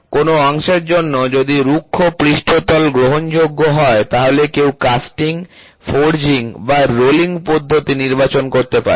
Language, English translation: Bengali, If rough surface for a part is acceptable one may choose a casting, forging or rolling process